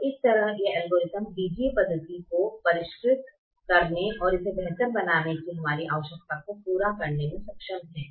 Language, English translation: Hindi, so this way this algorithm is able to meet our requirement of refining the algebraic method and making it better